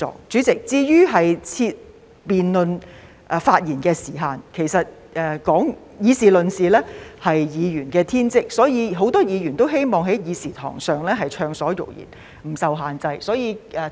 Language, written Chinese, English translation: Cantonese, 主席，至於設下辯論發言的時限，其實議事論事是議員的天職，所以很多議員都希望在議事堂上暢所欲言，不受限制。, President In regard to specifying time limits on debates in Council it is actually the duty of Members to engage in debates and this is why many Members wish to be able to express their views in the Chamber without any restrictions